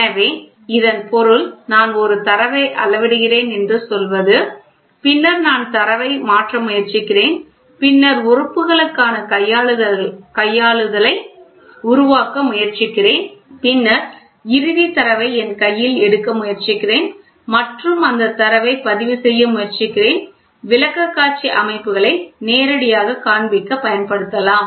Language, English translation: Tamil, So, that means, to say I am measuring a data then I am trying to convert the data and then trying to develop manipulation for the elements and then I am trying to record the am trying to take the final data in my hand and that data can be used for displaying presentation systems directly